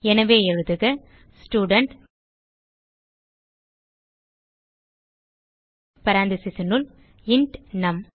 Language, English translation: Tamil, So type Student within parentheses int num